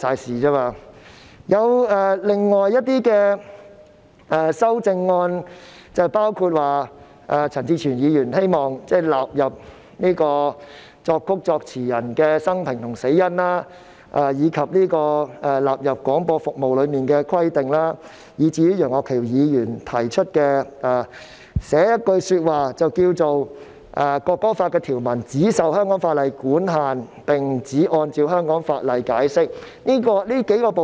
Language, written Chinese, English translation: Cantonese, 至於另外一些修正案，包括陳志全議員希望納入作曲人及作詞人的生平和死因、要求納入關於廣播服務的規定，以及楊岳橋議員在其修正案中提出加入一句條文，訂明《條例草案》中的條文"只受香港法例管限並只按照香港法例解釋"。, For we all know that in reality CPCs decision is final . As for other amendments they include Mr CHAN Chi - chuens amendments seeking to include the biography and cause of death of the lyricist and composer of the national anthem and provisions on broadcasting services as well as Mr Alvin YEUNGs amendment seeking to include a phrase stipulating that provisions in the Bill should be governed by and interpreted in accordance with solely the laws of Hong Kong